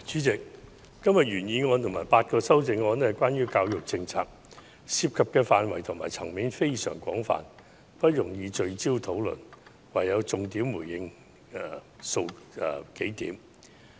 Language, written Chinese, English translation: Cantonese, 主席，今天的原議案和8項修正案是關於教育政策，涉及的範圍和層面非常廣泛，不容易聚焦討論，因此我唯有重點回應其中數點。, President todays original motion and the eight amendments thereto are related to education policies covering a wide range of areas and issues . As it is not easy to target all of them in our discussion I will only focus on responding to a few points